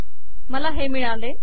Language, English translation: Marathi, So I have this